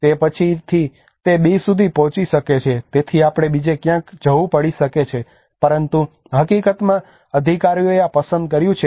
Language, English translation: Gujarati, So sometime later it may reach to B as well so we may have to go somewhere else, but in reality the authorities have chosen this